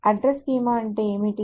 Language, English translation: Telugu, What is an address schema